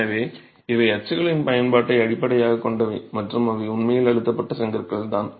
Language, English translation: Tamil, So, these are based on the use of moulds and they are actually pressed bricks